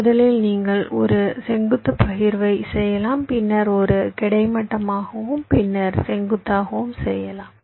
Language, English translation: Tamil, first you do a vertical partition, then a horizontal, then vertical, and this iteratively